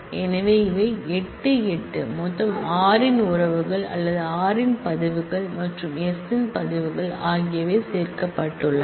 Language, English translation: Tamil, So, these are 8, 8 total all possible pairing of relations of r or records of r and records of s are included